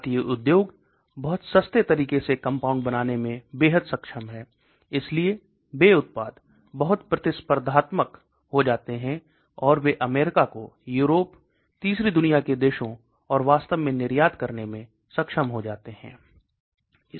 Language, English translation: Hindi, Indian industries are extremely competent in making compounds in a much cheaper way, so they become, the products become very competitive and they are able to export to US, Europe, third world countries and so on actually